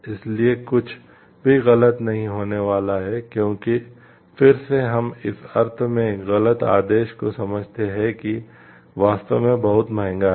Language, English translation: Hindi, So, that nothing wrong is going to happen because again we understand 1 wrong command in the sense is really very costly